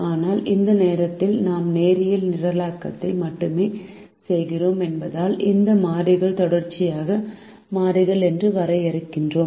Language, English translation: Tamil, but at the moment, since we are doing only linear programming, we are defining these variables to be continuous variables